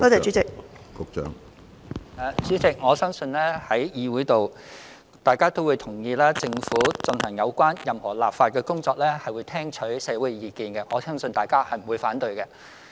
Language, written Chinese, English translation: Cantonese, 主席，我深信在議會內，大家也同意政府進行任何立法工作時，均會聽取社會意見，我相信大家不會反對這一點。, President I strongly believe Members in the legislature would agree that the Government would listen to the views of the community before taking forward any legislative work . I trust that Members would not object to this